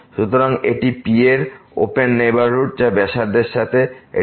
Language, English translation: Bengali, So, this is the open neighborhood of P or with radius this delta